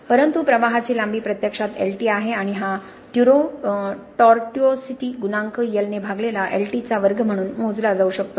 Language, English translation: Marathi, But the actual path flow is Lt the length of flow is actually Lt and this tortuosity coefficient can be measured as a square of Lt divided by L